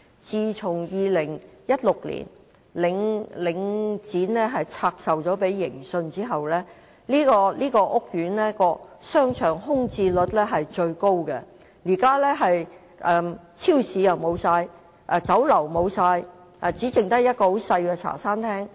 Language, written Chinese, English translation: Cantonese, 自從2016年領展把商場拆售給盈信後，這個屋苑的商場空置率非常高，現在商場沒有超級市場、沒有酒樓，只剩下一間小型茶餐廳。, Since 2016 when Link REIT divested the shopping centre to Vantage International Holdings Limited Vantage the vacancy rate of the shopping centre has been very high . At present there is no supermarket or Chinese restaurant in the shopping centre and the only shop still in business is a small Hong Kong - style cafe